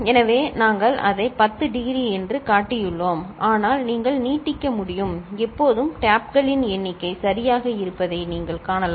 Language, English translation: Tamil, So, we have shown it up to say 10 degree, but you can extend and you see that always the number of taps are even